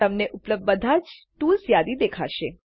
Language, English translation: Gujarati, You will see a list of all the available tools